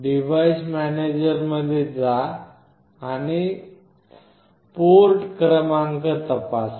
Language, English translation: Marathi, Go to device manager and check the port number